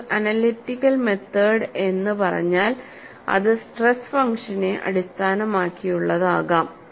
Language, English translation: Malayalam, And one you, once you say analytical methods, it could be based on stress function